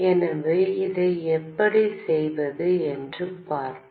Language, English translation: Tamil, So we will see how to do that